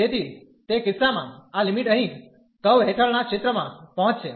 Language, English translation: Gujarati, So, in that case this limit here will approach to the area under the curve